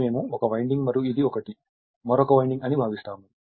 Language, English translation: Telugu, This one we consider as 1 winding and this one, we consider another winding right